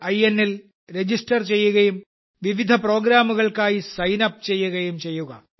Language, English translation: Malayalam, in and sign up for various programs